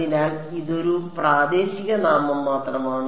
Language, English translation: Malayalam, So, this is a local name only a local name